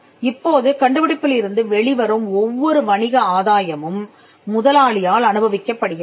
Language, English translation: Tamil, Now, every commercial gain that comes out of the invention is enjoyed by the employer